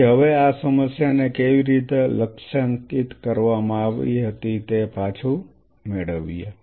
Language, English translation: Gujarati, So, now getting back how this problem was targeted